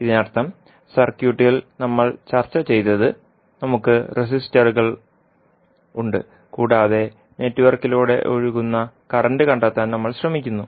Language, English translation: Malayalam, So that means that what we have discussed in the circuit like this where we have the resistances and we try to find out the current flowing through the network